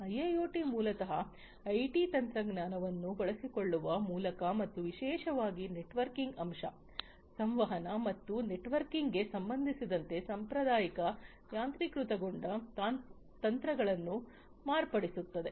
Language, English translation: Kannada, So, IIoT basically modifies the traditional automation techniques by exploiting the IT technology and particularly with respect to the networking aspect, the communication and networking